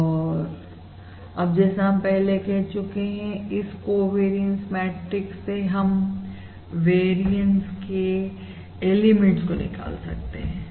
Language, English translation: Hindi, okay, And now we also said: from this covariance I can extract the variances of the elements